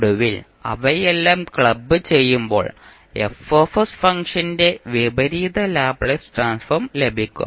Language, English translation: Malayalam, So finally, when you club all of them, you will get the inverse Laplace transform of the function F s